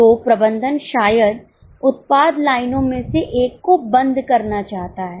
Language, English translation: Hindi, So, management perhaps want to close one of the product lines